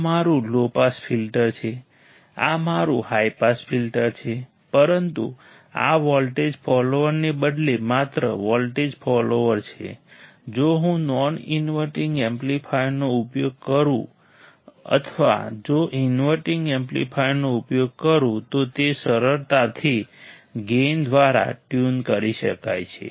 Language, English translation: Gujarati, This is my low pass filter, this is my high pass filter right, but these are just voltage follower instead of voltage follower, if I use a non inverting amplifier or if use an inverting amplifier, they can be easily tuned by gain